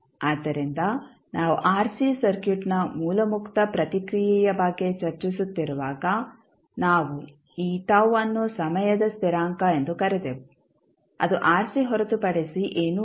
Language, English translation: Kannada, So, when you discussing about the source free response of rc circuit we termed this tau as time constant which was nothing but equal to rc